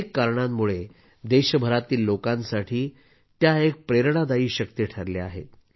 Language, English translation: Marathi, She has been an inspiring force for people across the country for many reasons